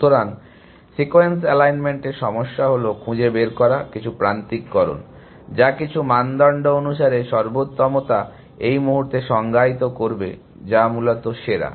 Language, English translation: Bengali, So, the problem of sequence alignment is to find, some alignment, which is optimal according to some criteria will define that in the moment, which is the best essentially